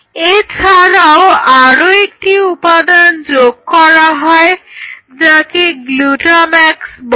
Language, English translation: Bengali, And there is another component which is added which is called glutamax